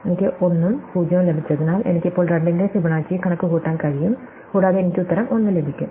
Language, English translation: Malayalam, So, since I got 1 and 0 and I will now be able to compute Fibonacci of 2 at sum of those and I will get the answer 1